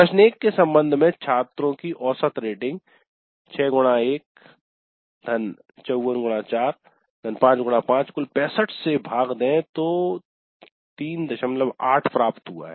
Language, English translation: Hindi, So the average is 6 into 1 plus 54 into 4 plus 5 into 5 the total divided by 65 so the average is 3